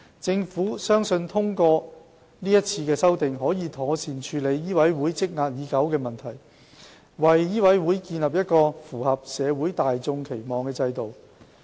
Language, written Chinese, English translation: Cantonese, 政府相信通過這次修訂，可以妥善處理醫委會積壓已久的問題，為醫委會建立一個符合社會大眾期望的制度。, With the current amendment the Government believes that the long - standing problems of MCHK can be duly resolved and a system can be established to meet the expectations of society